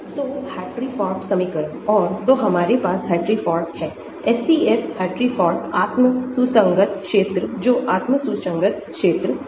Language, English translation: Hindi, So, Hartree Fock equation and so we have the Hartree Fock; SCF Hartree Fock self consistent field that is the self consistent field